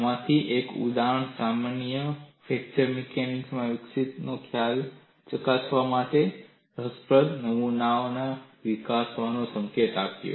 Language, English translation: Gujarati, One of the example problems provided a clue to develop interesting specimens for verifying concepts developing fracture mechanics